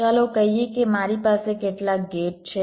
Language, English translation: Gujarati, let say i have some gates